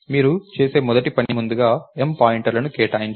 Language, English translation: Telugu, So, the first thing you do is allocate M pointers first